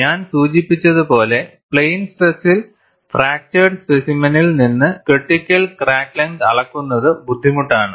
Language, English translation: Malayalam, As I mentioned, measurement of critical crack length from fractured specimen in plane stress is difficult